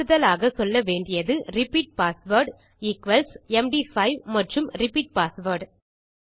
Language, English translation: Tamil, We also need to say repeat password equals md5 and repeat password